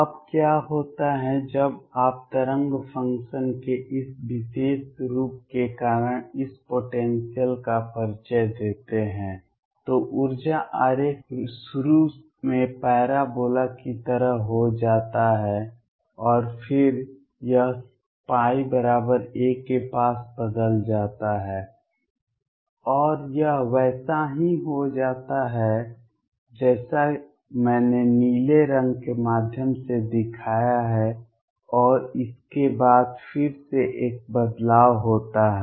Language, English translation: Hindi, Now what happens now when you introduce this potential because of this particular form of the wave function, the energy diagram becomes like the parabola initially and then it changes near pi equals a it changes and becomes like what I have shown through blue colour, and after this again there is a change